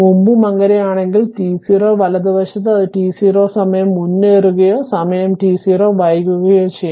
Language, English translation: Malayalam, Previously also if so in t 0 right it may be advanced by time t 0 or delayed by time t 0